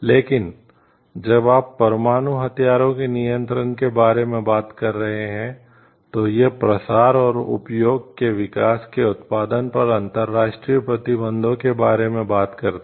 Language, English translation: Hindi, But when you are talking of like nuclear arms control, it talks to the international restrictions on the development production stocking proliferation and usage